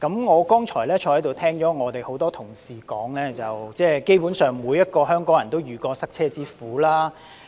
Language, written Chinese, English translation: Cantonese, 我剛才聽到很多同事說，基本上，每個香港人都遇過塞車之苦。, I have just heard many of my colleagues saying that basically every Hongkonger has experienced traffic congestion